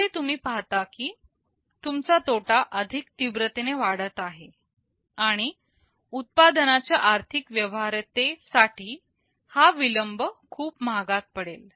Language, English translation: Marathi, So you see that your loss increases very rapidly, and this delay becomes very costly for the financial viability of a product